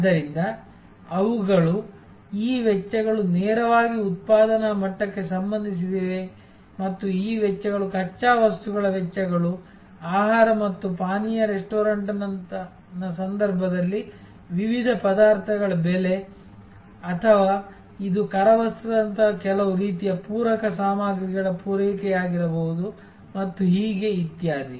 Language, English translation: Kannada, So, they are therefore, these costs are directly related to the level of production and these costs are costs of raw material, cost of different ingredients in the case of a food and beverage restaurant or it could be certain types of ancillary stuff supply like napkins and so on, etc